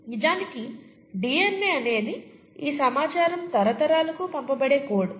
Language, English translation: Telugu, In fact DNA is the code through which this information is passed down generations